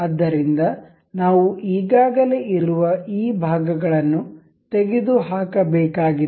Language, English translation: Kannada, So, we have to remove these already these parts